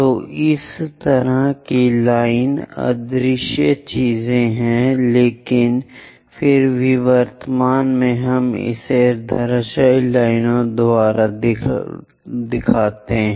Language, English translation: Hindi, So, such kind of lines invisible things, but still present we show it by dashed lines